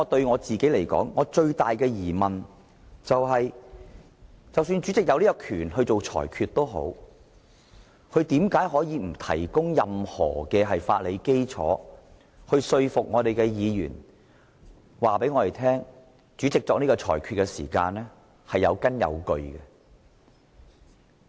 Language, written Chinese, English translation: Cantonese, 我最大的疑問是，即使主席有權作出裁決，但為何他沒有提供任何法理基礎，說服議員作出有關裁決是有根有據的。, For me the biggest doubt is even if the President has the authority to make rulings how come he has not provided any legal basis to convince Members that the rulings made are well - founded?